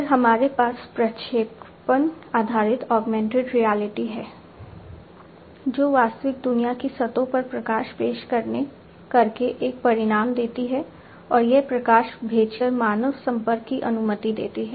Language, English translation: Hindi, Then we have the prediction based augmented reality, that gives an outcome by projecting light onto the real world surfaces and it allows the human interaction by sending light